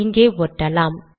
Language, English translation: Tamil, We paste it